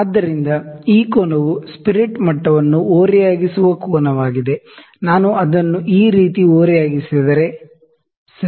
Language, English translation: Kannada, So, this angle, this angle that is angle at which the spirit l is level is tilted if I tilt it like this, ok